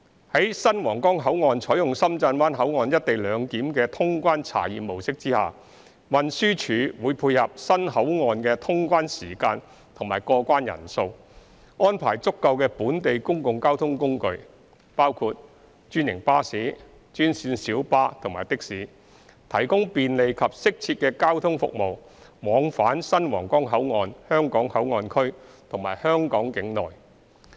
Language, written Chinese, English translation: Cantonese, 在新皇崗口岸採用深圳灣口岸"一地兩檢"的通關查驗模式下，運輸署會配合新口岸的通關時間及過關人數，安排足夠的本地公共交通工具，包括專營巴士、專線小巴和的士，提供便利及適切的交通服務往返新皇崗口岸香港口岸區和香港境內。, As the Huanggang Port will adopt the Shenzhen Bay Ports customs clearance mode under the co - location arrangement the Transport Department will arrange adequate local public transport services including franchised buses green minibuses and taxis corresponding to the operating hours of the boundary control point and the passenger traffic in order to provide convenient and suitable transport services between the Hong Kong Port Area of the new Huanggang Port and other districts of Hong Kong